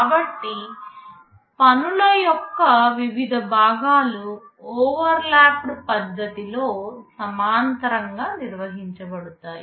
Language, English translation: Telugu, So, different parts of the tasks can be carried out in parallel in an overlapped fashion